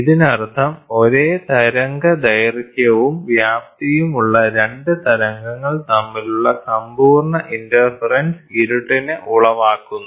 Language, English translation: Malayalam, This means that complete interference between the 2 waves having the same wavelength and the amplitude produces darkness